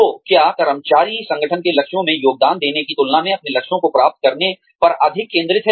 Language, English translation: Hindi, So, is the employee, more focused on achieving her or his goals, than contributing to the organization's goals